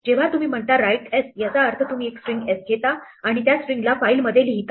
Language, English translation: Marathi, When you say, write s says take the string s and write it to a file